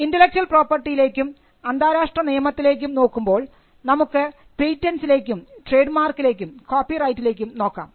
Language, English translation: Malayalam, So, when we look at intellectual property and international law, we can look at patterns, trademarks and copyrights